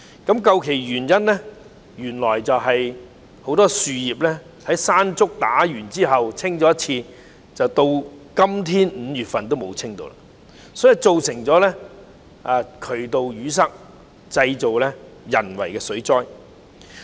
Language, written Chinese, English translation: Cantonese, 究其原因，原來自颱風"山竹"之後，只清理過樹葉一次，一直至現在5月也沒有再清理過，因而造成渠道淤塞，製造了人為的水災。, The reason is that after the onslaught of typhoon Mangkhut the fallen leaves had been cleared only once with no further clearance work carried out all the way up to May thus resulting in blocked drains and this man - made flood